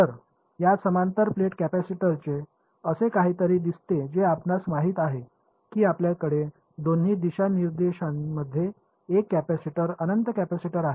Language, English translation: Marathi, So, this parallel plate capacitor which looks something like this that you know you have a capacitor infinite capacitor in both directions